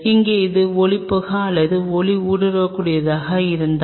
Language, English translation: Tamil, Here this was opaque or translucent